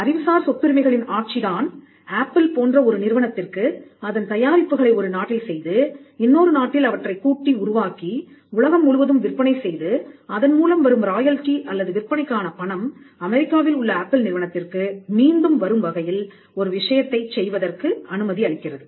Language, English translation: Tamil, You will find that it is the intellectual property rights regime that allows a company like Apple to design its products in one country and assemble it in another country, and sell it throughout the world; in such a way that the royalty or the money for the sale comes back to Apple in the United States